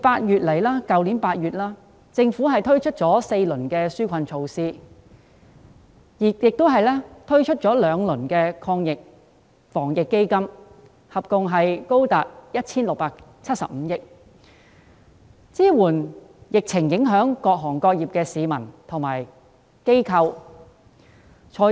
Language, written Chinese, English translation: Cantonese, 自去年8月，政府已推出4輪紓困措施及2輪防疫抗疫基金，金額合共高達 1,675 億元，支援受疫情影響的各行各業、市民和機構。, Since August last year the Government has launched four rounds of relief measures and two rounds of Anti - epidemic Fund totalling 167.5 billion to support various industries members of the public and organizations affected by the epidemic